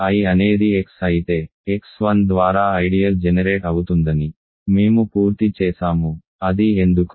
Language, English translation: Telugu, If I is x the ideal generate by x 1 then we are done, why is that